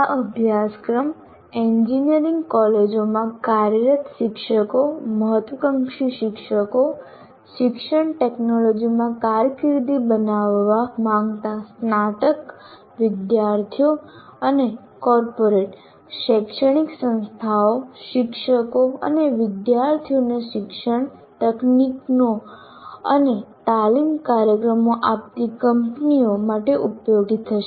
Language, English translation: Gujarati, And this course, as we mentioned earlier, will be useful to working teachers in engineering colleges, aspiring teachers, graduate students who wish to make careers in education technology, and also companies offering education technologies and training programs to corporates, educational institutes, teachers and students